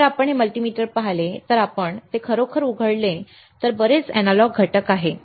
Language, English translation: Marathi, If you see this multimeter if you really open it there is lot of analog components